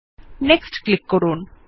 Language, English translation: Bengali, Click on Next